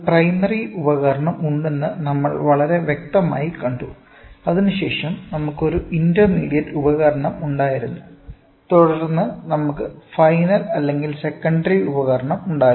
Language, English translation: Malayalam, So, we saw very clearly there is a primary device, then we had an intermediate device; intermediate we had and then we had the final or secondary device or final